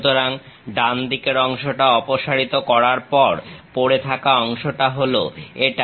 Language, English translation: Bengali, So, after removing the right side part, the left over part is this one